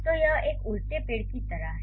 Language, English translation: Hindi, So, this is like an inverted tree